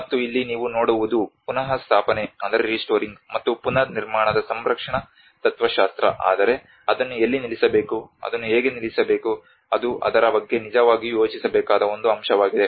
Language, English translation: Kannada, And here, what you can see is that conservation philosophy of restoring and the reconstruction, but where to stop it, How to stop it, that is one aspect one has to really think about it